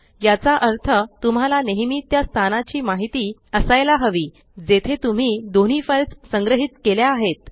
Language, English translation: Marathi, Which means, you will always have to keep track of the location where you are storing both the files